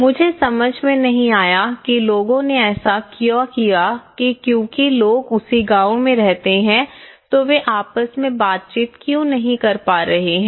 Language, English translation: Hindi, I didnÃt realize what was really because still, the people are living in the same village what did why they are not interactive